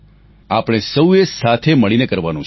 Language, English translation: Gujarati, We have to do this together